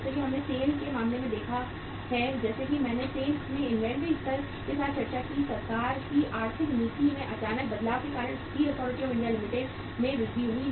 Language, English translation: Hindi, As we have seen in case of the SAIL as I discussed with you inventory level in the SAIL, Steel Authority of India Limited increased because of the sudden change in the economic policy of the government